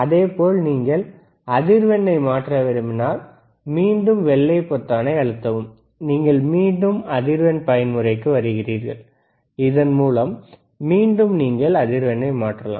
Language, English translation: Tamil, And same way if you want to change the frequency, again press the white button, and you are back to the frequency mode, again you can change the frequency, excellent